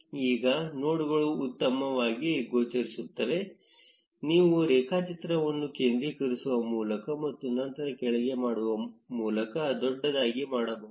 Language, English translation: Kannada, Now, the nodes are better visible you can zoom in by centering the graph and then scrolling down